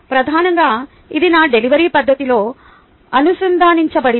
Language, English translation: Telugu, mainly it was connected with my delivery method